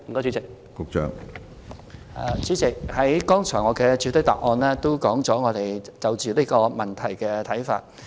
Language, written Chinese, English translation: Cantonese, 主席，我剛才也曾在主體答覆中提及我們對這個問題的看法。, President I have already mentioned in my main reply just now our views on this issue